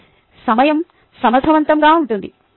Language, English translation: Telugu, it is time deficient